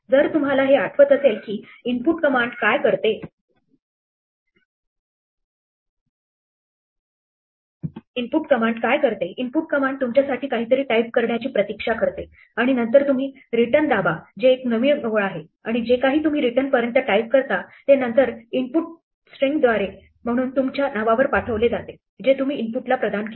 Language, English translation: Marathi, If you remember this is what the input command does, the input command waits for you type something and then you press return which is a new line and whatever you type up to the return is then transmitted by input as a string to the name that you assigned to the input